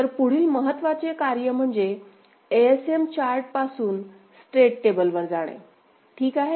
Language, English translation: Marathi, So, next important task is to move to state table from ASM chart ok